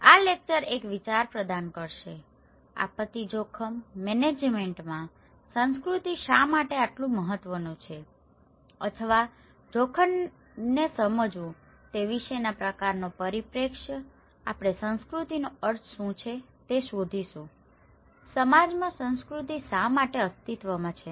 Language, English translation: Gujarati, This lecture would provide an idea, the kind of perspective about why culture is so important in disaster risk management or understanding risk perception also, we will look into what is the meaning of culture, why culture exists in society